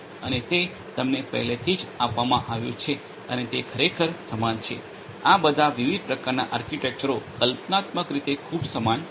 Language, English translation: Gujarati, And it is already given to you and it is very similar actually all these different types of architectures they are conceptually they are very similar